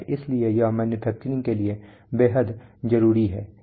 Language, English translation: Hindi, So it is very critical for manufacturing